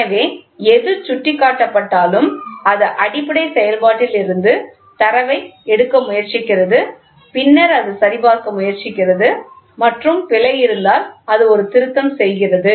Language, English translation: Tamil, So, whatever is indicated, it tries to take the data looks into a base function and then it tries to verify and if there is an error, it does a correction